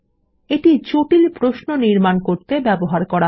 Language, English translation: Bengali, This is used to create complex queries